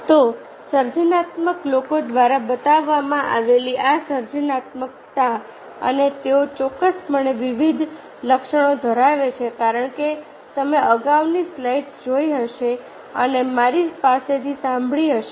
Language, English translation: Gujarati, so this creativity shown by the creative people and they have various attributes, definitely, as you have seen the earlier, as you have seen in the earlier slides and from with me, obviously creative people are divergent thinkers